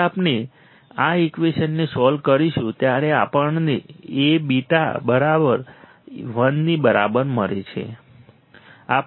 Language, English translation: Gujarati, And solving this equation what will I have A beta equals to this equation right